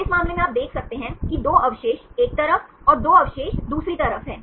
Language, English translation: Hindi, So, in this case you can see the 2 residues are on side and 2 residues on the other side